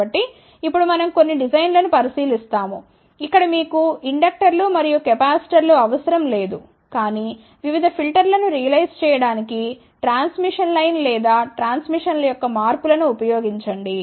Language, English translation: Telugu, So, now, we look into some of the designs, where you do not need inductors and capacitors, but use simply transmission line or modifications of transmission line to realize various filters